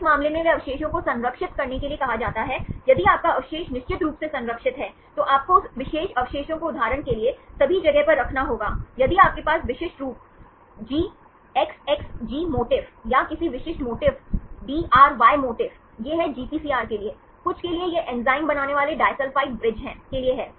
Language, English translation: Hindi, In this case they residue is said to be conserved, if your residue is certainly conserved then you have to keep that particular residue in all the positions for example, if you have specific motifs GXXG motif, or any specific motif, DRY motif, this is for something for the GPCR, this is for a disulphide bridge forming enzymes